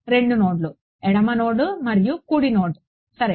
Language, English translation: Telugu, 2 nodes: a left node and a right node ok